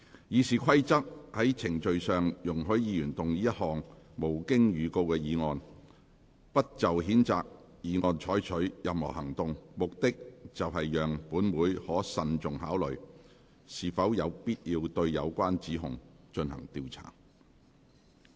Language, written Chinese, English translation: Cantonese, 《議事規則》在程序上容許議員動議一項無經預告的議案，不就譴責議案再採取任何行動，目的是讓本會可慎重考慮是否有必要對有關指控進行調查。, According to the procedure in the Rules of Procedure a motion may be moved without notice by any Member that no further action shall be taken on the censure motion with the purpose of allowing this Council to consider cautiously whether an investigation into the relevant allegation is necessary